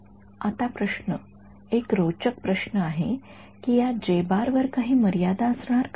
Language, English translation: Marathi, Now the question interesting question is, is there going to be any constraint on this J